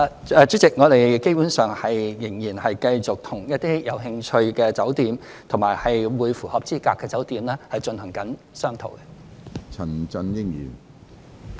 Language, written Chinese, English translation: Cantonese, 主席，我們基本上仍然繼續與一些有興趣及符合資格的酒店進行商討。, President we are basically still discussing with a number of hotels that are interested and qualified